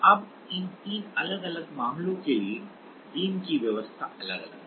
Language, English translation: Hindi, Now, for these three different cases the beam arrangement is different